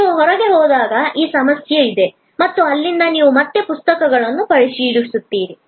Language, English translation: Kannada, When you go out, then there is this issue and from there you again get the books checked